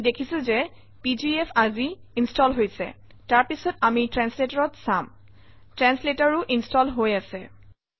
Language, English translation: Assamese, you can see that pgf is installed today, then, we are looking at translator, translator is also installed